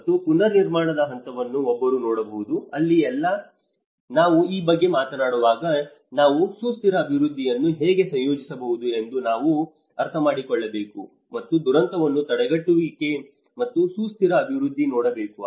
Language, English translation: Kannada, And one can look at the reconstruction phase, and that is where when we talk about, when we are talking about this, we have to understand that you know how we can integrate the sustainable development and that is where one has to look at the disaster prevention and the sustainable development